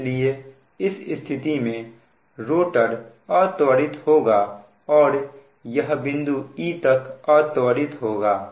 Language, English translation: Hindi, so in that case the rotor will accelerate and it will move along this path